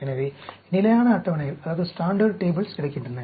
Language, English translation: Tamil, So, standard tables are available